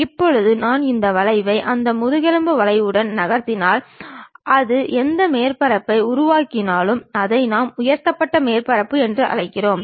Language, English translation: Tamil, Now, if I really move this curve along that spine curve, whatever the surface it makes that is what we call lofted surface also